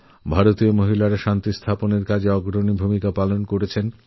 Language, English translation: Bengali, Indian women have played a leading role in peace keeping efforts